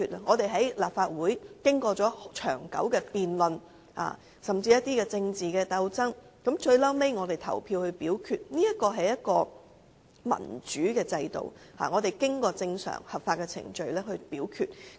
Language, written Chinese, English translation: Cantonese, 我們在立法會議事經過長久辯論，甚至經過政治鬥爭，最後投票表決，這是一個民主的制度，是正常合法的表決程序。, We discuss political issues through long debates and even political struggles in the Legislative Council and we conclude by the casting of votes . This is a democratic system as well as a normal and legal voting procedure